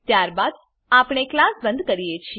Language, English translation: Gujarati, Then we close the class